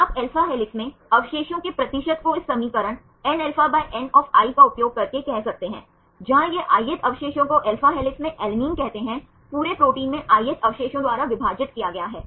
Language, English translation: Hindi, You can say percentage of residues in alpha helix using this equation nα by N of i where this is the ith residue say alanine in alpha helix, divided by ith residue in the whole protein